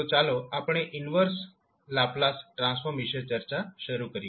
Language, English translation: Gujarati, So, let us start the discussion about the inverse Laplace transform